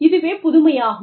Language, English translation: Tamil, So, that is innovation